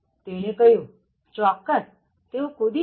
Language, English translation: Gujarati, Said of course, they will jump